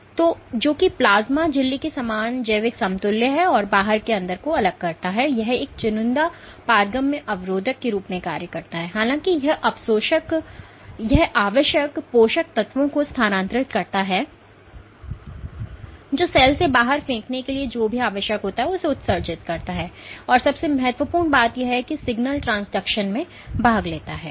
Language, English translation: Hindi, So, which is the biological the biological equivalent being the plasma membrane, it separates the inside from the outside it acts as a selectively permeable barrier; however, it transports the essential nutrients also excretes whatever needs to be thrown out of the cell, and most importantly it participates in signal transduction